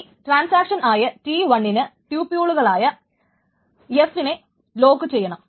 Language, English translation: Malayalam, Now, suppose there is a transaction T1, T1 has locked tuple F2